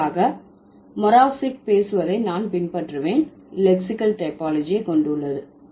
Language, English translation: Tamil, For this, I would follow what Muravsik has been talking about as far as lexical typology is concerned